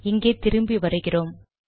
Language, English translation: Tamil, Go back here